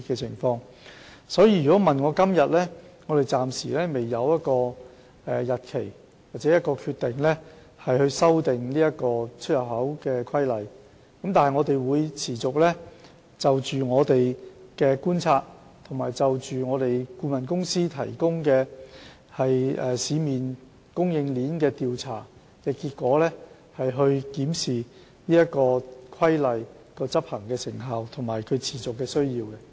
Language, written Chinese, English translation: Cantonese, 所以，關於何時修訂《規例》，我們暫時未能訂定一個時間表或有任何決定，但我們會持續就觀察所得及顧問公司提供對市面供應鏈的調查結果，檢視《規例》的執行成效和市場的持續需要。, Hence we have yet to set a timetable or make any decision on the amendment of the Regulation but we will continue to monitor the effectiveness of the Regulation and the ongoing demand of the market based on our observation and the consultant firms findings on the supply chain